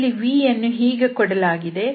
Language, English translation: Kannada, So you are going to have this v1